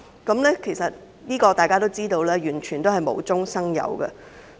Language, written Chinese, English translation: Cantonese, 大家都知道這完全是無中生有。, People all know that the allegations have been completely disproved